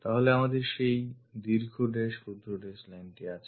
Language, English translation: Bengali, So, we have that long dash short dash line